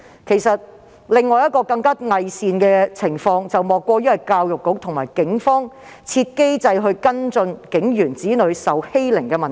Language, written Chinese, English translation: Cantonese, 其實，另一種更偽善的情況是教育局與警方設立機制跟進警員子女受欺凌的問題。, As a matter of fact it is even more hypocritical for the Education Bureau to establish a mechanism together with the Police to follow up the problem of the children of police officers being bullied